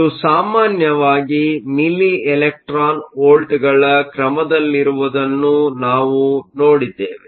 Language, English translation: Kannada, We also saw that this is typically of the order of milli electron volts